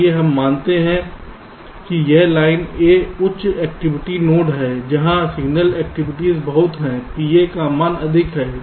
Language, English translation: Hindi, lets assume that this line a is a high activity node, where there is lot of signal activities, the value of p a is higher